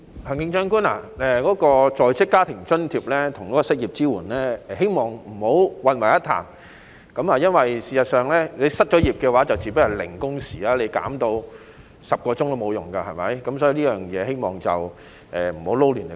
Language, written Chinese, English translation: Cantonese, 行政長官，希望你不要把在職家庭津貼和失業支援混為一談，因為事實上，失業後自然是零工時，即使把工時規定減到10小時也沒有用，對不對？, Chief Executive I hope that you will not lump together WFA and unemployment support because the fact is that an unemployed worker naturally has zero working hour and it still does not help even if the requirement on working hours is reduced to 10 hours right?